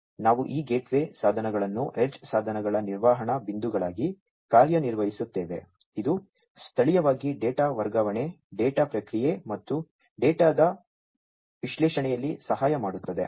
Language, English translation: Kannada, Then you, we have these gateway devices acting as the management points for the edge devices locally transferring helping in the transferring of the data, processing of the data, and analysis of the data